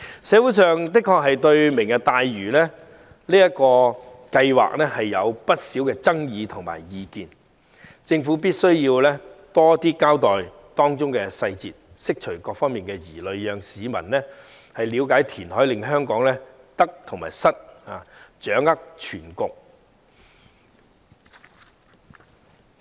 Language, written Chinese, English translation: Cantonese, 社會對"明日大嶼"計劃確實有不少爭議和意見，政府必須多交代當中細節，釋除各方疑慮，讓市民了解填海為香港帶來的得與失，掌握全局。, There have indeed been lots of controversies and views surrounding the Lantau Tomorrow programme in the community . The Government must present more details to allay concerns from all sides thereby enabling members of the public to get the whole picture seeing the good and bad of reclamation for Hong Kong